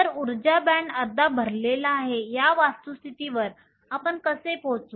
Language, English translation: Marathi, So, how do we arrive the fact that the energy band is half full